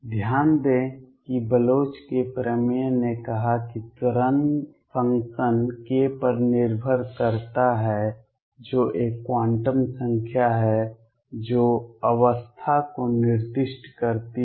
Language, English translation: Hindi, Notice that Bloch’s theorem said that wave function depends on k which is a quantum number that specifies the state